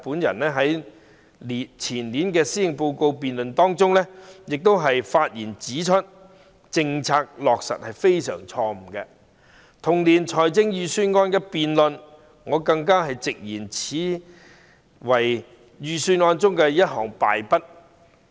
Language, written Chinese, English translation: Cantonese, 在前年的施政報告辯論中，我亦發言指出該政策實在非常錯誤；在同年的預算案辯論中，我更直言此為預算案的敗筆。, During the policy debate in the year before last I also pointed out in my speech that the policy was indeed grossly wrong . During the Budget debate in the same year I even bluntly said it was a serious flaw in the Budget